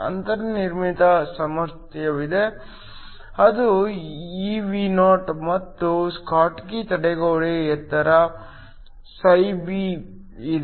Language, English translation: Kannada, There is a built in potential which is evo and there is a schottky barrier height φB